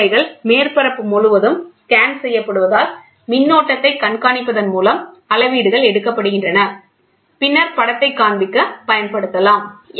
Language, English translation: Tamil, The measurements are made by monitoring the current as the tip positions scans across the surface; which can then be used to display the image